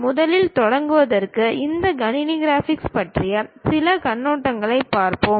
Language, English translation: Tamil, To begin with that first we will look at some overview on these computer graphics